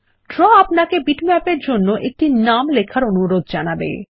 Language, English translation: Bengali, Draw prompts you to enter a name for the Bitmap